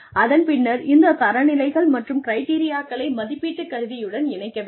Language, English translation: Tamil, And, then incorporate these standards and criteria, into a rating instrument